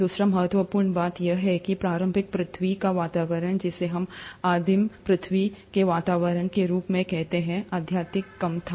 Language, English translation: Hindi, The other important thing to note is that the initial earth’s atmosphere, which is what we call as the primordial earth’s atmosphere, was highly reducing